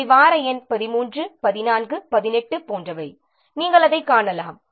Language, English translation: Tamil, These are the week numbers 13, 14, 18, etc